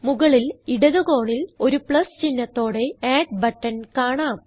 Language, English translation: Malayalam, At the top left corner, there is a button named Add, with a green Plus sign on it